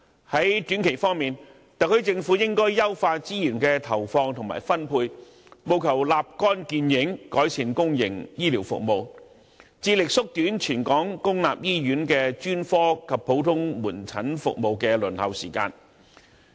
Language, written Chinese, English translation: Cantonese, 在短期方面，特區政府應該優化資源的投放及分配，務求立竿見影，改善公營醫療服務，致力縮短全港公立醫院的專科及普通科門診服務的輪候時間。, In the short term the Government should enhance resource deployment and allocation in order to achieve instant improvements in public healthcare services . It should also strive to shorten the waiting time for specialist and general medicine outpatient services in all public hospitals